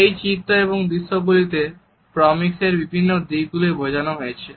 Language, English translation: Bengali, In these sketches and in this visual, we find that different aspects of proxemics have been communicated